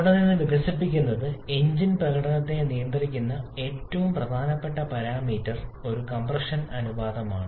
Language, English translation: Malayalam, And from there what is evolved is that the most important parameter governing the engine performance is a compression ratio